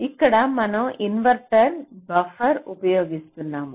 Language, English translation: Telugu, so here lets say we are using an inverter as a buffer